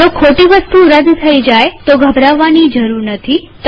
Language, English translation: Gujarati, In case a wrong object is deleted, no need to panic